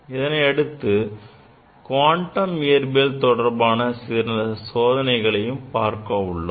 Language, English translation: Tamil, Next we will discuss, we will demonstrate few experiments on quantum physics